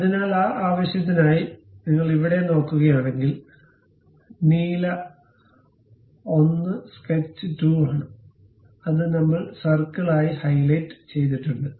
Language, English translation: Malayalam, So, for that purpose if you are looking here; the blue one is sketch 2, which we have highlighted as circle